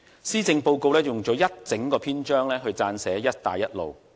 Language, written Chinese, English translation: Cantonese, 施政報告用了一整個篇章撰寫"一帶一路"。, The Policy Address this year devotes an entire chapter to Belt and Road